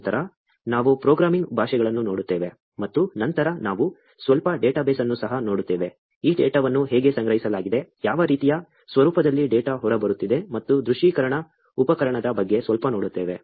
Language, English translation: Kannada, Then, we look at programming languages; and then, we will also look at a little bit of database, how this data is stored, what kind of format that the data is coming out; and a little bit about visualization tool